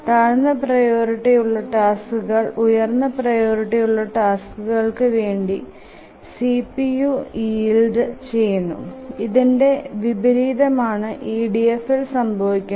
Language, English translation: Malayalam, So, the lower priority task must yield the CPU to the highest priority task, to the higher priority tasks, and this is contrary to what used to happen in EDF